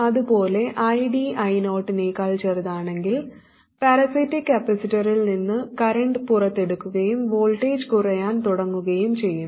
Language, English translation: Malayalam, And similarly, if ID is smaller than I 0, then a current will be pulled out of the parasitic capacitor and the voltage starts falling down